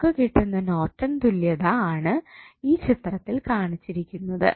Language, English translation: Malayalam, You will get Norton's equivalent as shown in the figure